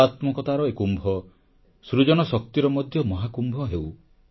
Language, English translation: Odia, May this Kumbh of aesthetics also become the Mahakumbh of creativity